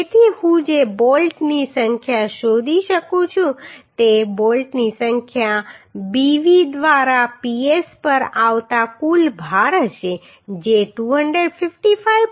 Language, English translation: Gujarati, So the number of bolt I can find out number of bolt will be the total load coming on the splice Ps by Bv that will be 255